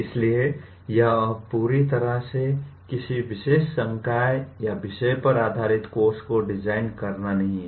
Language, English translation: Hindi, So it is no longer designing a course purely based on a particular disciple or a subject